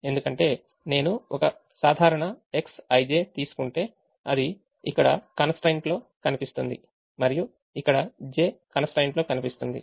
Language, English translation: Telugu, that's because if i take a typical x i j, it will appear here in the i'th constraint and here in the j'th constraint